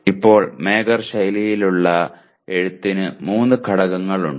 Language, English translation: Malayalam, Now there are 3 elements in Mager style of writing